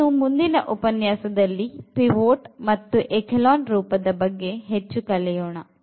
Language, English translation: Kannada, So, we will be talking about in the next lecture more about these pivots and echelon form